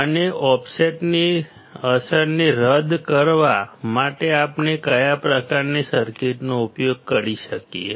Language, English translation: Gujarati, And what kind of circuits we can use to nullify the effect of the offset